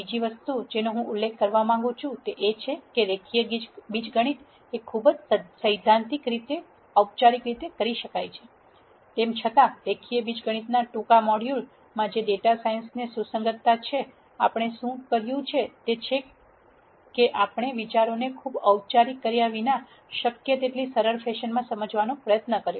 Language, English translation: Gujarati, The second thing that I would like to mention is the following; Linear algebra can be treated very theoretically very formally; however, in the short module on linear algebra which has relevance to data science ,what we have done is we have tried to explain the ideas in as simple fashion as possible without being too formal